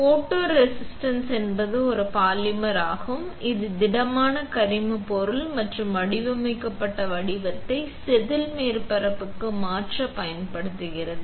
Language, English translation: Tamil, So, photoresist is a polymer which is solid organic material and is used to transfer the designed pattern to wafer surface